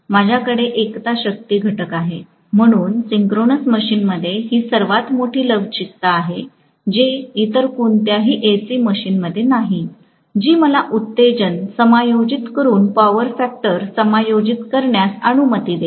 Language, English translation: Marathi, I am going to have unity power factor, so synchronous machine has this greatest flexibility, which is not there in any other AC machine, which will allow me to adjust the power factor by adjusting the excitation